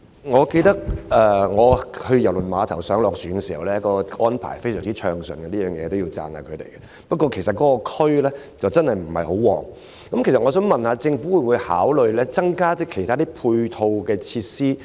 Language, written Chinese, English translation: Cantonese, 我記得我以往在郵輪碼頭上下船時，安排非常暢順，這方面我要稱讚一下，但該區真的不暢旺，我想問政府會否考慮增加其他配套設施？, I remember from my past experience that embarking or disembarking arrangements at KTCT were very smooth and I must give it commendation but KTCT is actually not a busy area . May I ask the Government whether it will consider providing more ancillary facilities there?